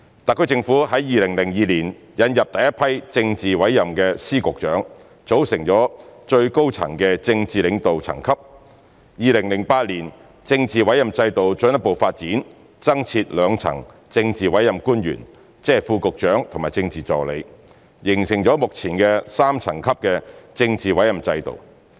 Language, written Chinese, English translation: Cantonese, 特區政府在2002年引入第一批政治委任的司、局長，組成最高層的政治領導層級 ；2008 年政治委任制度進一步發展，增設兩層政治委任官員，即副局長和政治助理，形成目前的3層級的政治委任制度。, The SAR Government introduced the first batch of politically appointed secretaries of departments and bureaux in 2002 thereby forming the highest echelon of political leadership . In 2008 the political appointment system was further developed by the addition of two echelons of politically appointed officials namely Under Secretaries and Political Assistants thereby ultimately forming the current 3 - echelon political appointment system